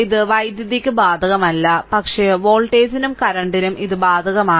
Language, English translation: Malayalam, So, it is not applicable for the power, but for the voltage and current it is applicable right